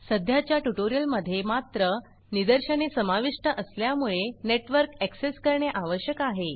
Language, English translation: Marathi, The current tutorial however, involves demonstrations that require network access